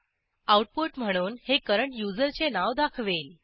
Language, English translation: Marathi, This will output the name of the current user